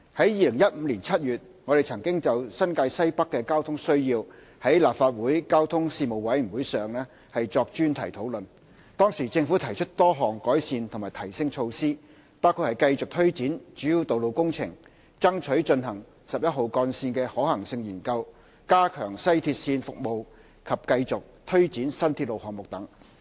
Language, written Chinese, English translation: Cantonese, 2015年7月，我們曾就新界西北的交通需要在立法會交通事務委員會上作專題討論，當時政府提出多項改善和提升措施，包括繼續推展主要道路工程、爭取進行十一號幹線的可行性研究、加強西鐵線服務及繼續推展新鐵路項目等。, In July 2015 we had a focused discussion on the traffic needs of NWNT at the Legislative Council Panel on Transport . The Government proposed a number of improvement and enhancement measures including continuous implementation of major road works striving to conduct a feasibility study on Route 11 strengthening of the West Rail Line WRL service and continuous implementation of new railway projects